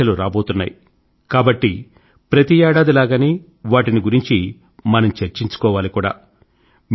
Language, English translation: Telugu, Exams are round the corner…so like every other year, we need to discuss examinations